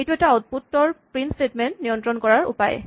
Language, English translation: Assamese, This is one way to control the output of a print statement